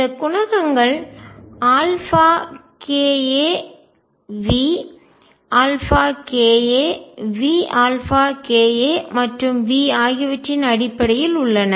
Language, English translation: Tamil, These coefficients are in terms of alpha k a V alpha k a V alpha k a and v